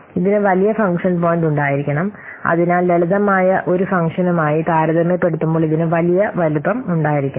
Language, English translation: Malayalam, It should have larger function point and hence it should have larger size as compared to a simpler function